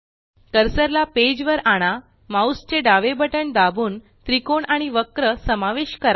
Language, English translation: Marathi, Now move the cursor to the page, press the left mouse button and drag to cover the triangle and the curve